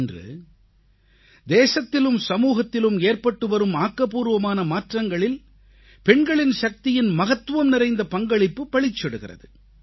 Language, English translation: Tamil, The country's woman power has contributed a lot in the positive transformation being witnessed in our country & society these days